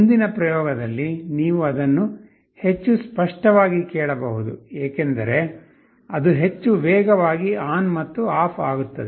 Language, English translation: Kannada, In the next experiment, you can hear it much more clearly because, will be switching ON and OFF much faster